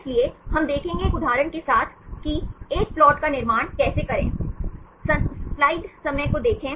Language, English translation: Hindi, So, I show one example where we can construct the plot